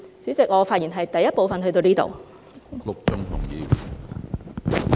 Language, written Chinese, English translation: Cantonese, 主席，我就第一部分的發言至此為止。, President my speech of the first debate session ends here